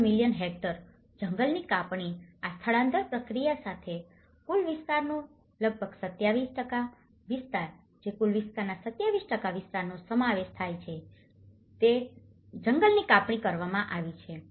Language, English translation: Gujarati, 33 million hectares, have been deforested with these migration process and nearly 27% of the total area which comprises 27% of the total area has been deforestation